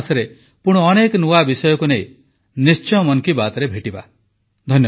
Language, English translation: Odia, We will meet in another episode of 'Mann Ki Baat' next month with many new topics